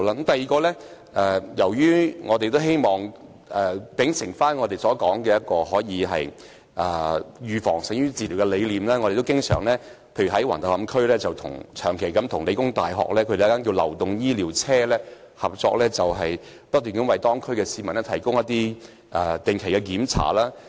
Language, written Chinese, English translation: Cantonese, 第二點，秉承我們所說的預防勝於治療的理念，舉例說，我們在橫頭磡區長期與香港理工大學的流動醫療車合作，為區內市民提供定期檢查。, The second point follows the concept that prevention is better than cure as mentioned by us . For example we have cooperated with the mobile clinic of The Hong Kong Polytechnic University in Wang Tau Hom on a long - term basis providing regular check - ups for the local residents